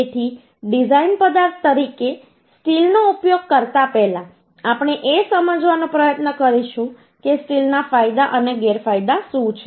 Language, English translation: Gujarati, So before going to use the steel as a design material, we will try to understand what are the advantages and disadvantages of the uhh steel